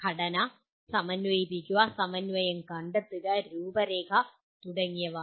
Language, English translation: Malayalam, Structure, integrate, find coherence, outline and so on